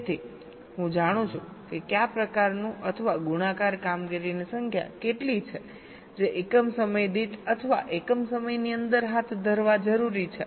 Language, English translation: Gujarati, so i know what kind of or what is the number of multiplication operations that are required to be carried out per unit time or within a time t